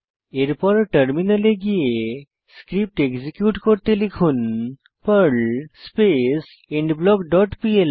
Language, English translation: Bengali, Then switch to terminal and execute the script by typing, perl endBlock dot pl and press Enter